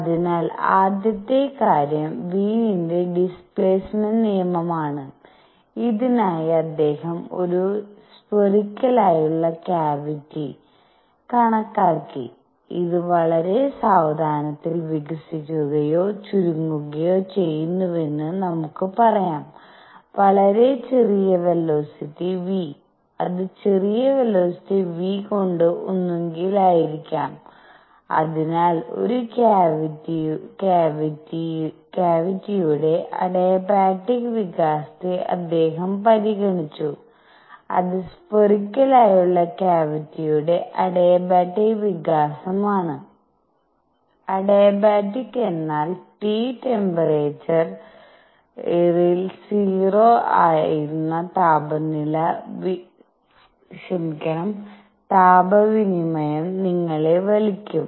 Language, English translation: Malayalam, So, first thing is Wien’s displacement law, for this he considered a spherical cavity which; let us say this expanding or contracting by a very slow; very small velocity v, it could be either way by small velocity v and so he considered adiabatic expansion of a cavity which is spherical cavity the adiabatic expansion of a spherical cavity; adiabatic means that will tuck you heat exchange was 0 at temperature T